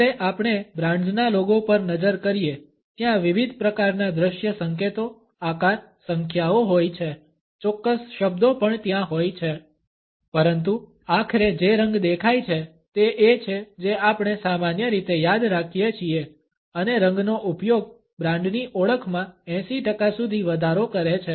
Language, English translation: Gujarati, Even though when we look at a brands logo there are different types of visual cues, shapes, numbers, certain words would also be there, but what stands out ultimately is the color which we normally remember and the use of color increases brand recognition by up to 80 percent